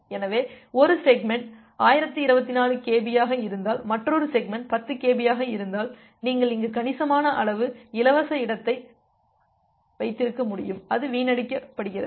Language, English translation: Tamil, So, if one segment is 1024 kb, another segment is 10 kb in that case, you can have a significant amount of free space here which is being wasted